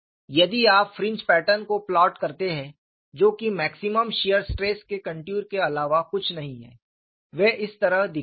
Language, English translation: Hindi, If you plot the fringe pattern, which are nothing but contours of maximum shear stress; they appeared like this